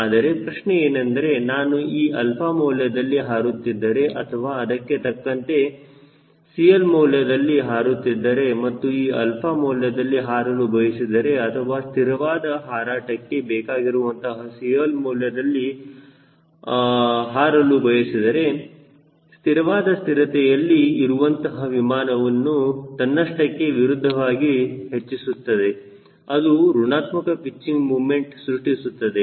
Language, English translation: Kannada, but the question is if i am flying at these alpha or corresponding c l, and if you want to fly at this alpha, let us say, or a corresponding c l, a maintaining a level flight, then the aircraft being statically stable, it will automatically opposite, it will generate negative pitching moment